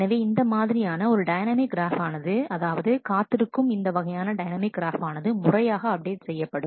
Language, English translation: Tamil, So, this is how this is kind of a dynamic graph the wait for graph is a kind of dynamic graph which will regularly keep getting updated